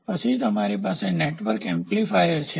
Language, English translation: Gujarati, So, then you have a network amplifier